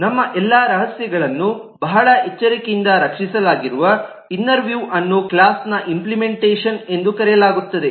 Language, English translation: Kannada, the inner view, The inside view, that is where all our secrets are very carefully protected, kept is known as the implementation of a class